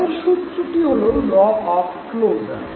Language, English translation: Bengali, The next law is the law of proximity